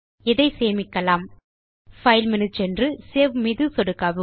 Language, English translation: Tamil, Go to File menu at the top, click on Save